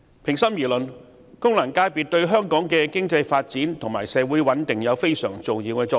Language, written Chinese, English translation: Cantonese, 平心而論，功能界別對香港的經濟發展和社會穩定有非常重要的作用。, To give the matter its fair deal FCs are vitally important to the economic development and social stability of Hong Kong